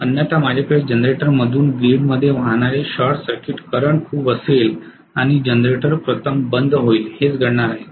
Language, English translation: Marathi, Otherwise I will have a huge amount of short circuit current that will be flowing through the generator into the grid and the generator will conk out first, that is what is going to happen